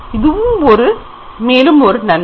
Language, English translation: Tamil, So, this is another advantage